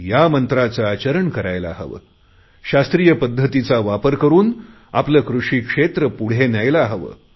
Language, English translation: Marathi, We should move forward with this 'mantra' and improve our agriculture sector by using scientific methods